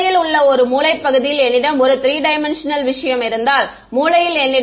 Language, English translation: Tamil, In the corner in the corner region if I have a 3D thing then in the corners I will have s x s y s z